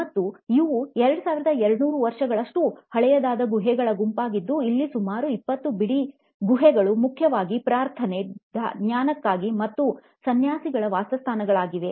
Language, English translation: Kannada, This is about 60, 70 kilometres from Pune, India, and these are the set of 2200 year old caves, about 20 odd caves mainly for prayer, meditation and served as living quarters here for the monks